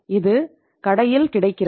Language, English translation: Tamil, It is available in the shop